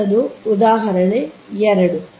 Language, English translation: Kannada, next is example two